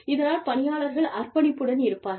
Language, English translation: Tamil, This helps the employees, remain committed